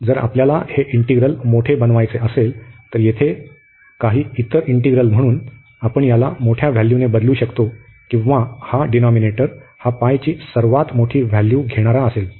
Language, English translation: Marathi, So, if we want to make this integral larger, then some other integral here, so we can replace this y by the larger value or this denominator will be the taking the largest value here at pi here